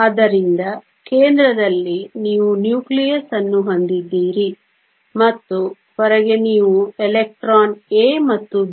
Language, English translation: Kannada, So, at the center you have the nucleus and outside you have the electron A and B